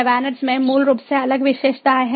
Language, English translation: Hindi, vanet basically has different features